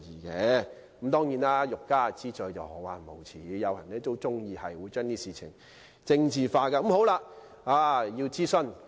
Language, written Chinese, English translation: Cantonese, 不過，欲加之罪，何患無辭，有些人很喜歡把事情政治化。, And yet if you want to condemn somebody you can always trump up a charge . Some people are very keen on politicizing issues